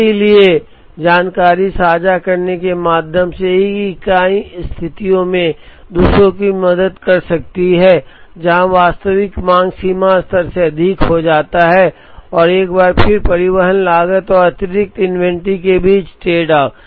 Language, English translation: Hindi, So, through information sharing, one entity can help the other in situations, where the actual demand exceeds the reorder level and once again, tradeoff between transportation cost and excess inventory